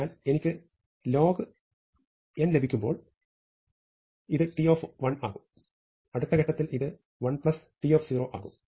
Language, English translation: Malayalam, So, when I get log 2 of n, then this will become T of 1 and at the next step this is going to become 1 plus T of 0